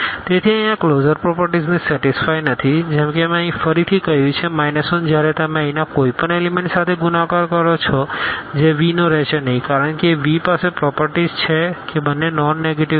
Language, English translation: Gujarati, So, here this closure property is not satisfied like here I have stated again the minus 1 when you multiply to any element here that will not belong to V because the V has the property that both are non negative